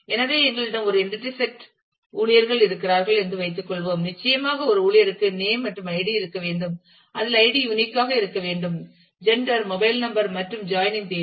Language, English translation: Tamil, So, let us assume that we have a entity set staff which certainly a staff should have name and id which id should be unique, gender, mobile number and date of joining